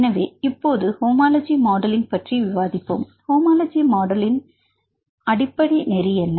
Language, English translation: Tamil, So, now, let us discuss about the homology modelling, what is the principle used in homology modelling